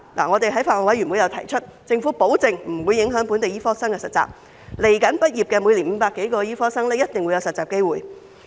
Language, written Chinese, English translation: Cantonese, 我們在法案委員會提出，政府保證不會影響本地醫科生的實習，以後每年畢業的500多名醫科生一定有實習機會。, We have raised this point in the Bills Committee and obtained the Governments assurance that there will be no adverse impact on the internship of local medical students . The 500 - odd locally - trained medical graduates will certainly be provided with internship opportunities in every year to come